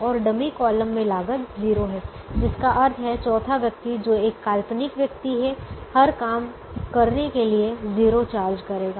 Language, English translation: Hindi, what is called a dummy column, and the cost in the dummy column is zero, which means the fourth person, who is an imaginary person, is going to charge zero to do every job